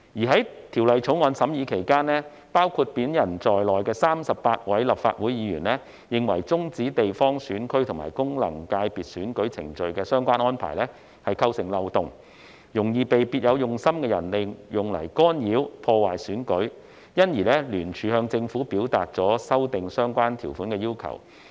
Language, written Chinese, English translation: Cantonese, 在《條例草案》審議期間，包括我在內的38位立法會議員認為，終止地方選區及功能界別選舉程序的相關安排構成漏洞，容易被別有用心的人利用來干擾、破壞選舉，因而聯署向政府表達了修正相關條文的要求。, During the scrutiny of the Bill 38 Legislative Council Members including me considered that the relevant arrangement for the termination of the election proceedings for geographical constituencies GCs and functional constituencies FCs would give rise to loopholes which could easily be exploited by people with ulterior motives to interfere with and sabotage the elections . We thus signed a joint letter to the Government to put forward our request for amending the relevant provisions